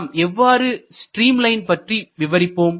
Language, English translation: Tamil, Let us consider the streak line